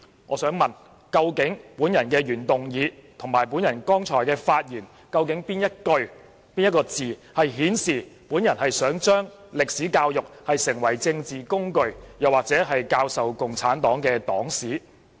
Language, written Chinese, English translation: Cantonese, 我想問究竟我的原議案及剛才發言的哪一句、哪些字顯示我想令中史教育成為政治工具，或用作教授共產黨黨史？, May I ask which sentence or words in my original motion and in my speech delivered just now indicate my intention of making Chinese history education a political tool or teaching the history of the Communist Party of China?